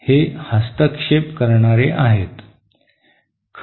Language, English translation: Marathi, These are the interferers